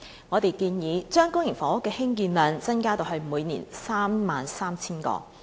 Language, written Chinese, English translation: Cantonese, 我們建議將公營房屋的興建量增加至每年 33,000 個。, We suggest that the annual production of public housing should be increased to 33 000 units